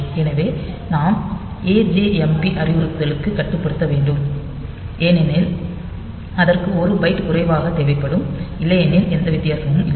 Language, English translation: Tamil, So, we should restrict us to ajmp instruction because that will require one byte less otherwise there is no difference